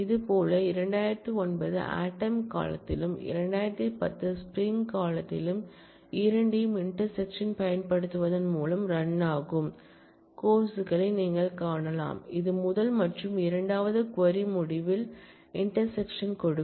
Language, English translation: Tamil, Similarly, you can find out the courses that run, both in fall 2009 and spring 2010 by using intersect, which basically give you the intersection of the result of the first and the second query